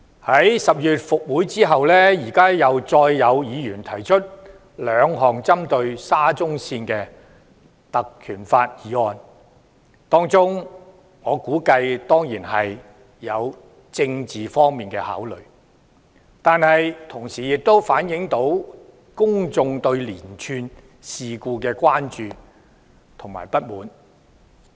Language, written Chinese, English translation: Cantonese, 在10月復會後，再有議員根據《條例》提出兩項針對沙中線的議案，我估計當中必然有政治方面的考慮，但同時亦反映了公眾對連串事故的關注和不滿。, When this Council sits again in October Members have proposed another two motions on SCL in accordance with PP Ordinance . I reckon there are political considerations inevitably but it also reflects the publics concern over and discontent with the series of incidents